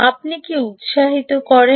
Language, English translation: Bengali, what do you energize